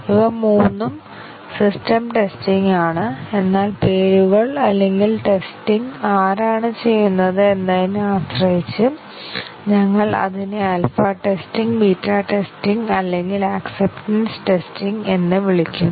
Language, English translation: Malayalam, All three are system testing, but the names or the testing is depending on who does the testing, we call it as alpha testing, beta testing or acceptance testing